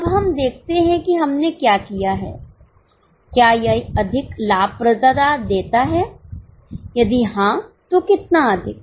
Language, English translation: Hindi, Now let us check what we have done whether it gives more profitability if yes how much more